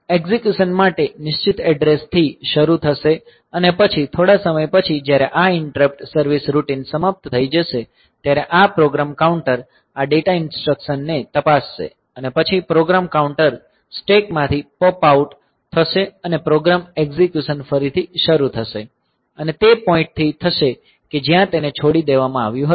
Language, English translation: Gujarati, So, execution will start at a fixed address and then after some time, when this interrupt service routine is over, then this program counter this data instruction is encountered and then the program counter is popped out from the stack and the program execution will resume from the point where it was left off